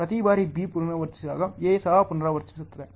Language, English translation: Kannada, Every time B repeats, A also repeats